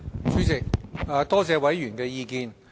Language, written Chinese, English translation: Cantonese, 主席，多謝委員的意見。, Chairman I would like to thank Members for their views